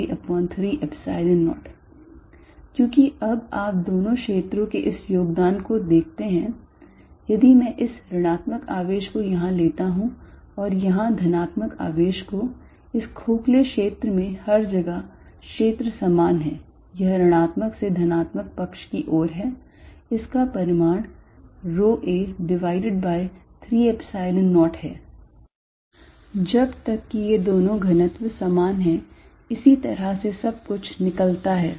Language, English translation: Hindi, Because, now you look at this contribution of the two fields, if I take this negative charge here and the positive charge here in this hollow region field is the same everywhere it is pointing from negative to positive side it’s magnitude is rho a divide by 3 Epsilon 0 provided these two densities are the same that is how everything worked out